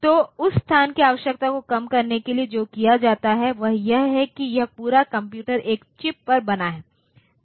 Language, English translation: Hindi, So, to reduce that space requirement what is done is this entire computer is made on a single chip